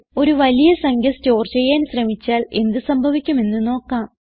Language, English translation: Malayalam, Let us try to store a large value and see what happens